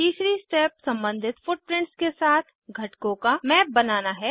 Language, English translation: Hindi, Third step is to map components with corresponding footprints